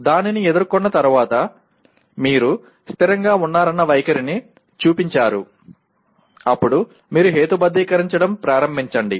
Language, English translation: Telugu, Then after few encounters like that you have consistently shown the attitude then you start rationalizing